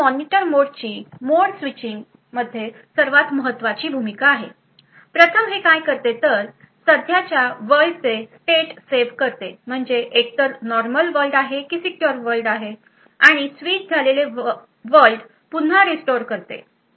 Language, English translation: Marathi, Now the Monitor mode is a crucial role during this mode switching first what it does is that it saves the state of the current world that is either normal world or the secure world and restores the state of the world that is switched to so the restoration is done when there is a return from an exception